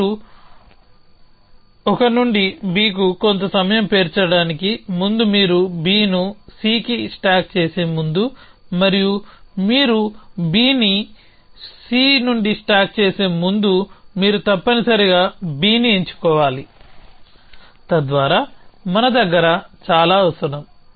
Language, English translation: Telugu, But before you stack an to B some time you stack B on to C and before you stack B on to C you must pick up B essentially so that is all we have so of essentially